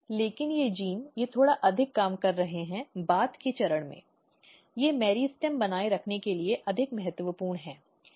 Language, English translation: Hindi, But these genes they are more working slightly later stage, they are more important for maintaining the meristem